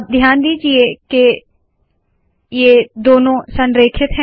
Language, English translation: Hindi, Now notice that both of them are aligned